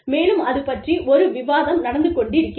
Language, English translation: Tamil, And, there is a debate, going on